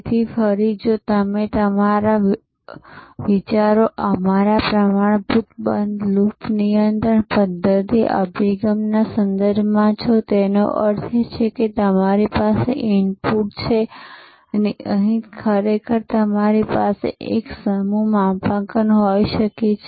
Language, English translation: Gujarati, So, again if your think is in terms of the our standard closed loop control system approach; that means, you have an input and here you may actually have a set calibration